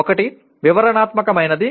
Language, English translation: Telugu, One is descriptive